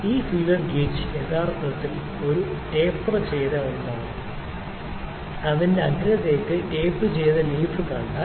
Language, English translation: Malayalam, So, this feeler gauge actually is a taper tapered one, if you see the leaf that is tapered towards its tip